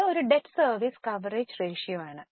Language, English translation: Malayalam, So, that is a debt service coverage ratio